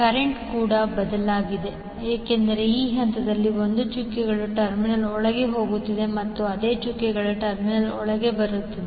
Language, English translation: Kannada, Current is also change because 1 is going inside the dotted terminal at this point also it is going inside the dotted terminal